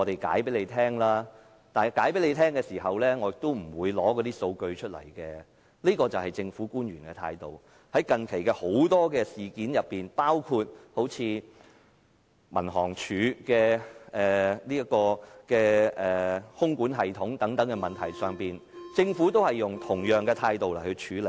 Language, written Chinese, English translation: Cantonese, 這便是政府官員的態度。在近期很多事件上，包括民航處的空管系統等問題上，政府均以同樣的態度處理。, This is the attitude of government officials and the Government also has adopted the same attitude in handling many issues recently including the air traffic control system of the Civil Aviation Department and so on